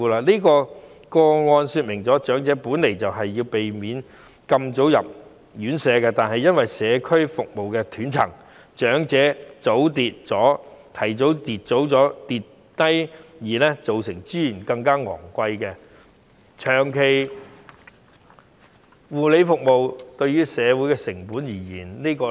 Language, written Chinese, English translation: Cantonese, 以上個案說明了，長者本身是想避免太早入住院舍，但由於社區服務的斷層，長者提早發生跌傷意外，令照顧資源更加昂貴，增加了長期護理服務的成本。, The above case tells that the elderly try to avoid being admitted to residential care homes too early but due to the gaps in the provision of community services accidents such as tripping over which have happened earlier to them resulting in more expensive caring resources and higher costs in long - term care services